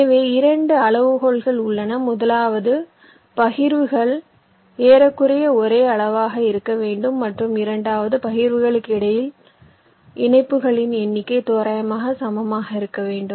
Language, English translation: Tamil, number one, the partitions need to be approximately of the same size, and number two, the number of connections between the partitions has to be approximately equal